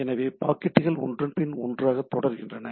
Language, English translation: Tamil, So, one packet after another it goes on